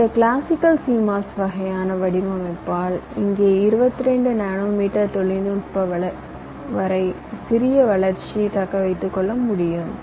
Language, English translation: Tamil, so with this classical cmos kind of design we have here we have been able to sustain the growth up to as small as twenty two nanometer technology